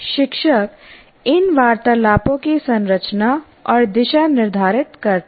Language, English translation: Hindi, Teacher determines the structure and direction of these conversations